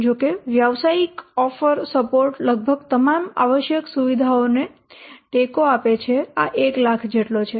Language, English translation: Gujarati, However, commercial offering support, supporting almost all the required features cost this, how much 1 lakh